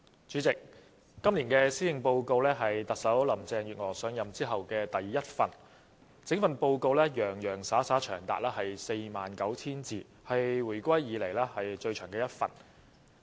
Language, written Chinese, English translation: Cantonese, 主席，這是特首林鄭月娥上任後的第一份施政報告，而且整份報告洋洋灑灑長達 49,000 字，是回歸以來最長的一份。, President this is the first Policy Address delivered by Chief Executive Carrie LAM since she took office . The 49 000 - word report is also the longest Policy Address delivered since the reunification